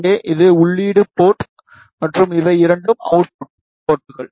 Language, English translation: Tamil, Here, this is input port, and these two are output ports